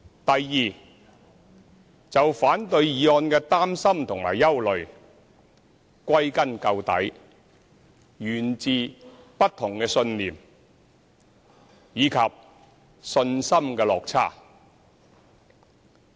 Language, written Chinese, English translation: Cantonese, 第二，就反對議案的擔心和憂慮，歸根究底，源自不同信念，以及信心的落差。, Second to those against the motion the fundamental causes for their worries and uneasiness are the differences in belief and the lack of confidence